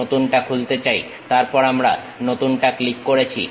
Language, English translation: Bengali, Open the new one, then we click the New one